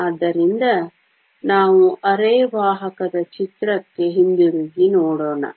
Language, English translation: Kannada, So, let us go back to the picture of the semiconductor